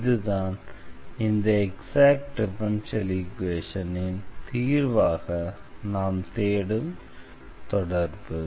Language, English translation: Tamil, So, this was one can use this formula to get the solution of exact differential equation